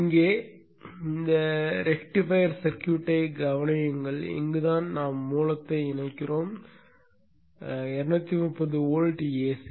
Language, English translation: Tamil, Consider this rectifier circuit here and this is where we connect the source, the 230 volt AC